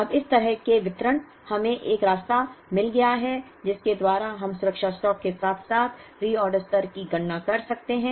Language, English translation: Hindi, So, if the demand follows a discrete distribution like this now, we have found the way by which we can calculate the safety stock as well as the reorder level